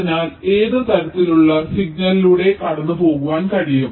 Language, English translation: Malayalam, so what kind of signal can go through